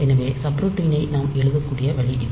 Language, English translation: Tamil, So, this is the way we can write down the subroutine